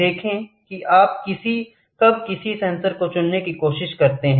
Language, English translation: Hindi, See when you try to choose any sensor